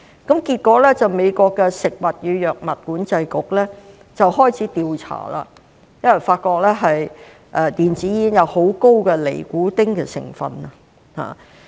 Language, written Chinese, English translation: Cantonese, 結果，美國的食品及藥物管理局開始調查，發覺電子煙含有很高的尼古丁成分。, As a result the US Food and Drug Administration launched an investigation and discovered that e - cigarettes contain high levels of nicotine